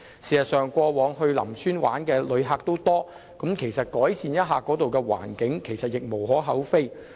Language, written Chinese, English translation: Cantonese, 事實上，過往到林村遊玩的旅客眾多，改善一下當地的環境是無可厚非的。, In fact there have been a large number of visitors to Lam Tsuen so it is understandable to make improvement to the local environment